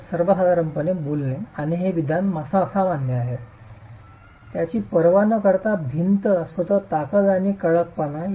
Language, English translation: Marathi, So, generally speaking, and this statement is general, irrespective of strength and stiffness of the wall itself